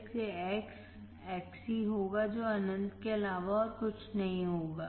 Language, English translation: Hindi, So, X would be Xc, would be nothing but infinite